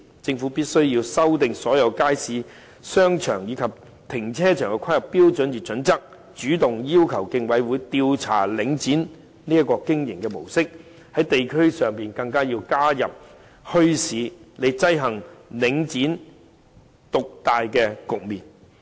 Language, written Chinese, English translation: Cantonese, 政府必須修訂所有街市、商場，以及停車場的規劃標準與準則，主動要求競爭事務委員會調查領展的經營模式，在地區上更要加設墟市，以制衡領展獨大的局面。, It is imperative for the Government to amend all the planning standards and guidelines for markets shopping arcades and car parks and proactively request the Competition Commission to investigate the mode of operation of Link REIT while setting up more bazaars in the districts in order to counteract the market dominance of Link REIT